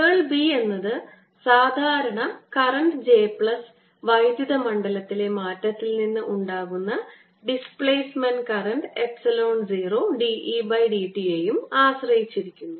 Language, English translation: Malayalam, curl of b depends both on the regular current, j plus displacement current, which is arising out of the change in electric field with respect to times, epsilon zero, d, e, d, t